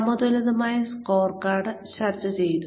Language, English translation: Malayalam, We discussed the balanced scorecard